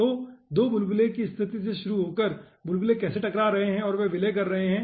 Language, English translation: Hindi, okay, so, starting from 2 bubble situation, how bubble are colliding and they are merging, that we have shown over here